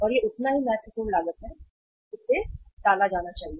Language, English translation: Hindi, And it is equally important cost, it should be avoided